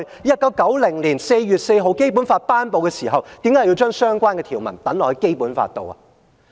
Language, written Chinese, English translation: Cantonese, 1990年4月4日頒布《基本法》的時候，當初為何要將這條文寫入《基本法》裏呢？, Why should the article be written down in the Basic Law when it was promulgated on 4 April 1990? . We are vested with the power but we cannot use it; we can see the problem but we cannot deal with it